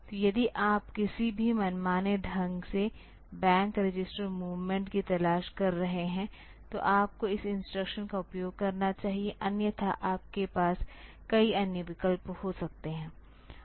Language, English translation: Hindi, So, if you are looking for a any arbitrary bank register movement; so you should use this instruction, otherwise you can have many other options